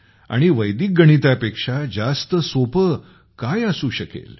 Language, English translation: Marathi, And what can be simpler than Vedic Mathematics